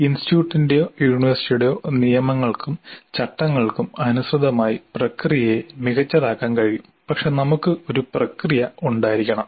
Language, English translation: Malayalam, It is possible to fine tune the process according to the rules and regulations of the institute or the university but we must have a process